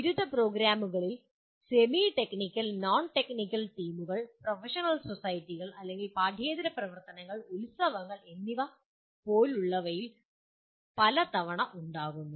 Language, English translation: Malayalam, And many times semi technical and non technical teams do happen in undergraduate program like professional societies or outside extracurricular activities and festivals